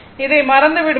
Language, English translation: Tamil, So, forget about this